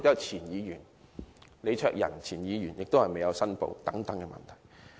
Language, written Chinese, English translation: Cantonese, 前議員李卓人也被指收取捐款但沒有申報。, LEE Cheuk - yan a former Member was likewise alleged to have accepted a donation without making declaration